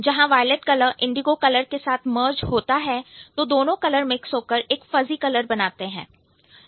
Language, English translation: Hindi, So, when the violet color merges with indigo, there is a fuzzy color between these two